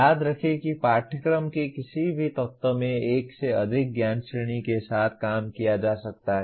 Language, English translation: Hindi, Remember that in any element of the course one may be dealing with more than one knowledge category